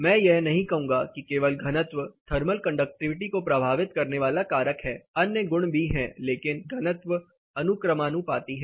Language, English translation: Hindi, I would not say density is only factor determining thermal conductivity, there are other properties and it is but directly proportionate